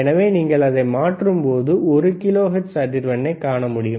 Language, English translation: Tamil, So, when you when you change the knob, what you are able to see is you are able to see the one kilohertz frequency